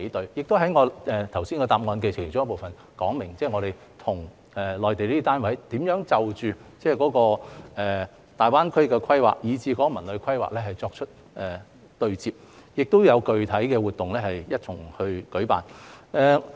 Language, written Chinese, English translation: Cantonese, 我亦已在剛才主體答覆的其中一個部分說明，我們與內地單位如何就着大灣區的規劃及《文旅規劃》作出對接，亦會一同舉辦具體的活動。, I have also explained in one part of the main reply earlier how we will dovetail with the Mainland authorities on the planning of GBA and the CTD Plan and that we will organize specific activities together